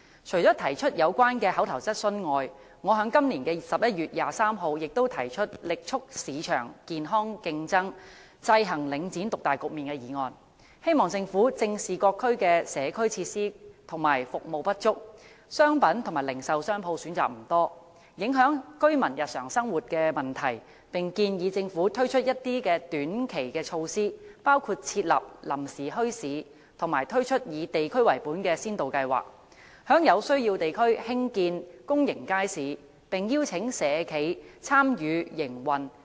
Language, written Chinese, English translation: Cantonese, 除了提出上述口頭質詢外，我亦曾在今年11月23日提出"力促市場健康競爭，制衡領展獨大局面"的議案，希望政府正視各區的社區設施和服務不足，商品及零售商鋪選擇不多，影響居民日常生活的問題，並建議政府推出一些短期措施，包括設立臨時墟市及推出以地區為本的先導計劃，在有需要地區興建公營街市，並邀請社企參與營運。, Apart from raising the above oral question I also proposed a motion on vigorously promoting healthy market competition to counteract the market dominance of Link REIT on 23 November this year hoping that the Government would address the problems of inadequate community facilities and services in various districts as well as insufficient choice of commodities and retail shops which affected the daily life of residents . I also proposed that the Government should introduce short - term measures such as setting up temporary bazaars and introducing district - based pilot schemes for building public markets in districts with such a need and inviting social enterprises to operate